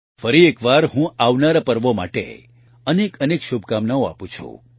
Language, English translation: Gujarati, Once again, I extend many best wishes for the upcoming festivals